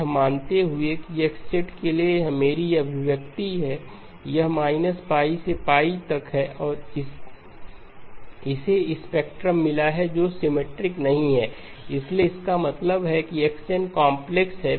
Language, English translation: Hindi, Supposing this is my expression for X e of j omega magnitude, it is from minus pi to pi and it has got a spectrum which is not symmetric, so which means that x of n is complex